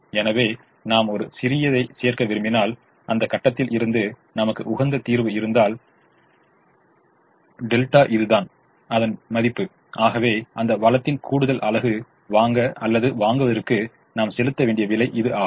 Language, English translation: Tamil, so if, if i have an optimum solution, from that point onwards, if i want to add a small delta, this is the worth and therefore this is the price that we have to pay to procure or buy an extra unit of that resource